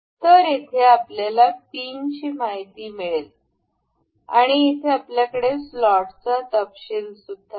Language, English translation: Marathi, So, we will here we can see we have the details of pin and here we have the details of slot